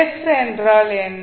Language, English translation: Tamil, What is s